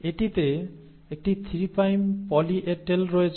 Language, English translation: Bengali, It has a 3 prime poly A tail